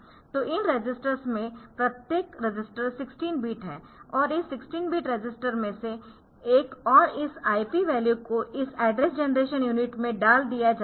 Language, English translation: Hindi, So, each of those each of these registers 16 bit register and this 16 bit register and 1 of this 16 bit register and this IP value